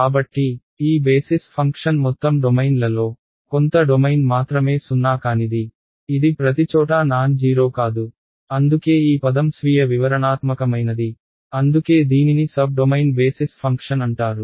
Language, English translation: Telugu, So, this basis function is non zero only in a some domain of the entire domain it is not nonzero everywhere right that is why the word is self explanatory that is why it is called a sub domain basis function